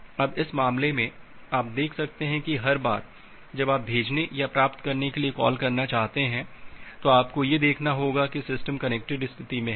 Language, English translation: Hindi, Now in this case you can see that well every time you want to make a call to the send or receive, you have to check that the system is in the connected state